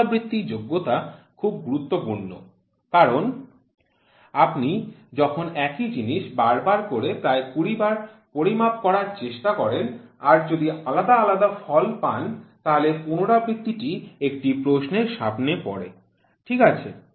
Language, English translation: Bengali, Repeatability is very important because when you try to measure an object repeatedly 20 times if you get varying results then the repeatability becomes a question mark, ok